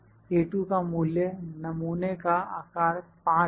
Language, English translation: Hindi, So, the value of A2 would be taken for 5 sample size